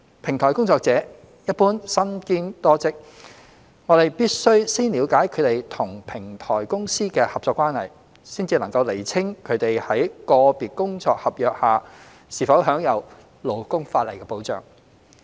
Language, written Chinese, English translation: Cantonese, 平台工作者一般身兼多職，我們必須先了解他們與平台公司的合作關係，才能釐清他們在個別工作合約下是否享有勞工法例的保障。, Platform workers generally work for several jobs . We must first understand their partnership with the platform companies before we can determine whether they are protected by labour laws under their individual work contracts